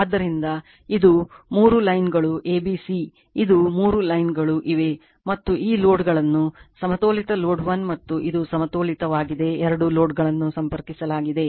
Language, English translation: Kannada, So, this is the three line a b c this is the , three lines are there right; and this loads are connected this is the Balanced Load 1 and this is the Balanced , 2 loads are connected